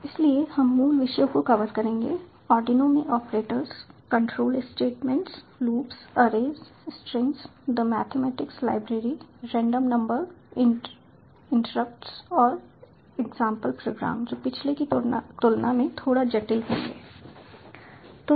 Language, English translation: Hindi, so we will cover the basic topics, the operators in arduino, control statements, loops, arrays, strings, the mathematics library, random number, interrupts and the example program, which will be bit complicated than the previous one